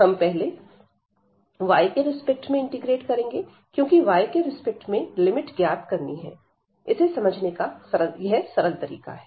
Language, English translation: Hindi, So, first we have to integrate with respect to y, because now with respect to y we have so for getting this limit this is the easiest way to understand